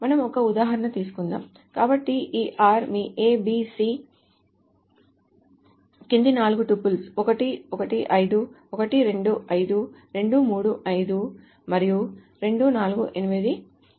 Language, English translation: Telugu, So, suppose there is this R is your A, B, C with the following four triples, 115, 1,25, 2, 3, 5, and 248